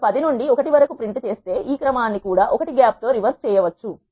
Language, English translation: Telugu, I can also reverse the order it will print from 10 to 1 with a gap of 1